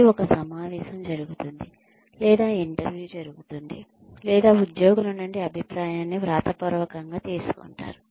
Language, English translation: Telugu, And, maybe a meeting takes place, or an interview takes place, or feedback is taken in writing, from employees